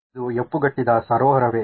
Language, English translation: Kannada, Is this a frozen lake